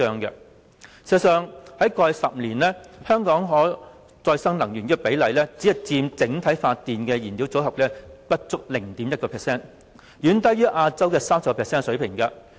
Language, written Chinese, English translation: Cantonese, 事實上，在過去10年，香港可再生能源只佔整體發電燃料組合不足 0.1%， 遠低於亞洲 30% 的水平。, But the reality is less than 0.1 % of the energy in the fuel mix for electricity generation was renewable energy over the past 10 years way lower than the share of 30 % in Asia